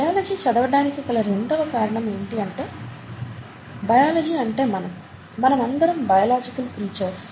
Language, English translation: Telugu, Second reason is, second reason for studying biology is that biology is us, we are all biological creatures